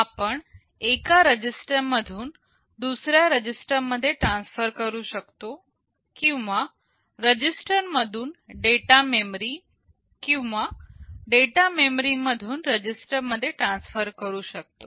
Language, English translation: Marathi, We can transfer from one register to another or we can transfer from register to data memory or data memory to register